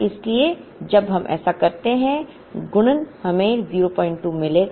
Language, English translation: Hindi, So, when we do this multiplication we would get 0